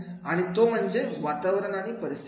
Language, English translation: Marathi, And that is the environment and situation